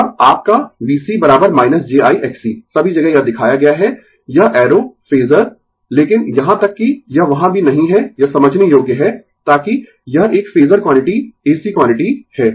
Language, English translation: Hindi, And your V C is equal to minus j I X C everywhere it is shown this arrow phasor, but even it is not there also it is understandable, so that it is a phasor quantity ac quantity right